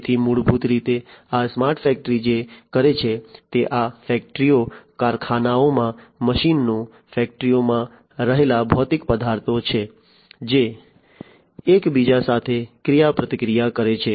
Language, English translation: Gujarati, So, basically this smart factory what it does is these factory, machines in the factories, the physical objects that are there in the factory, which interact with one another